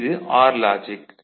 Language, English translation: Tamil, It is OR logic ok